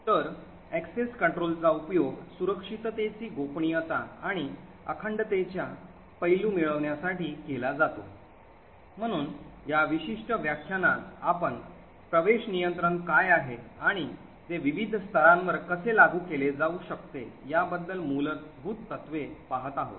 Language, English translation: Marathi, So, the access control is used to obtain the confidentiality and the integrity aspects of a secure system, so in this particular lecture we have been looking at fundamentals about what access control is and how it can be implemented at different levels